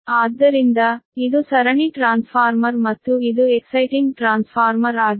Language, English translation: Kannada, so this is series transformer, and this is exciting transformer with this thing